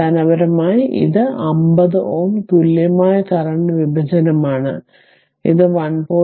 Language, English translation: Malayalam, So, basically it is i 50 ohm equal current division, it will be 1